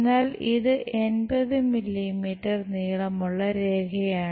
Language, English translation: Malayalam, But, it is a 80 mm long line